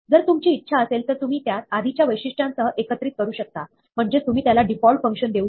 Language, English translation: Marathi, Then, if you want, you can combine it with the earlier feature, which is, you can give it a default function